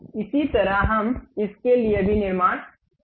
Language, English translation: Hindi, In the similar way we construct for this one also